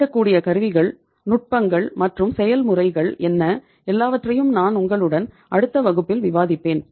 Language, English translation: Tamil, What are the tools, techniques, and processes available that all and many other things I will discuss with you in the next class